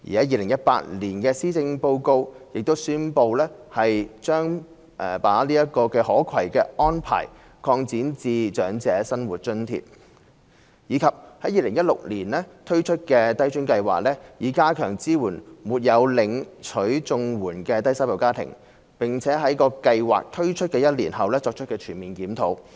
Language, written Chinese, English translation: Cantonese, 2018年的施政報告亦宣布將這"可攜"安排擴展至長者生活津貼；及 c 在2016年推出低津計劃，以加強支援沒有領取綜援的低收入家庭，並在計劃推出一年後作全面檢討。, It was announced in the 2018 Policy Address that the portability arrangement would be extended to OALA; and c launching LIFA in 2016 to strengthen support for low - income families not receiving CSSA and conducting a comprehensive review of the programme one year after the launch